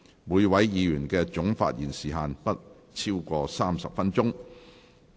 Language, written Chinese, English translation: Cantonese, 每位議員的總發言時限不得超過30分鐘。, The total speaking time limit for each Member is 30 minutes